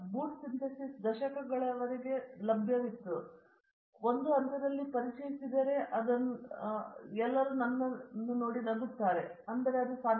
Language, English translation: Kannada, Boot synthesis is known for decades now one, if I were to introduced it in one step everybody will laugh at me, but it is possible